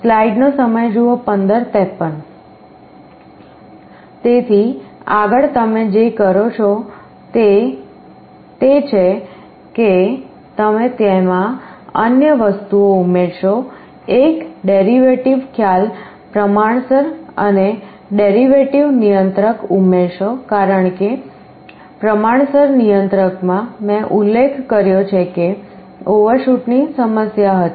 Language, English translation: Gujarati, So, what you do in the next step is that you add another flavor to it, add a derivative concept proportional and derivative controller, because in proportional controller I mentioned that there was the problem of overshoot